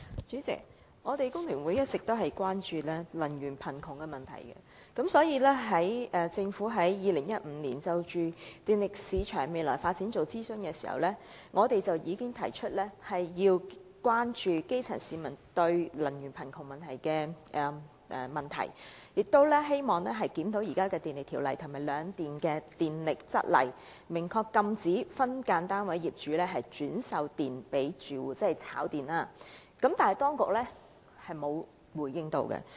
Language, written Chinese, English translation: Cantonese, 主席，工聯會一直關注"能源貧窮"的問題，政府在2015年就電力市場未來發展進行諮詢時，已提出要關注基層市民的"能源貧窮"問題，希望藉檢討現時的《電力條例》及兩電的《供電則例》，明確禁止分間樓宇單位業主轉售電力給租戶，即"炒電"，但當局並無回應。, President the Federation of Trade Unions FTU has been highly concerned about the problem of energy poverty . At end - 2015 when the Government consulted the public about the future development of the electricity market FTU voiced its concern about the energy poverty problem of the grass roots hoping that the authorities would in the process of reviewing the Electricity Ordinance and the Supply Rules governing the two power companies ban SDU landlords from reselling electricity to their tenants the so - called speculation on electricity